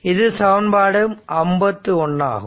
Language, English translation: Tamil, This is equation 47 right